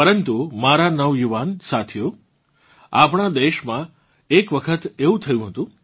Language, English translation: Gujarati, But my young friends, this had happened once in our country